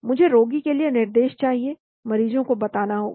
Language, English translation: Hindi, I need instructions for patient, the patients have to be told